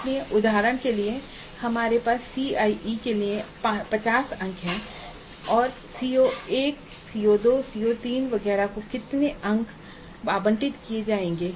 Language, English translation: Hindi, So we have for example 15 marks for CIA and how many marks would be allocated to CO1, CO2, CO3 etc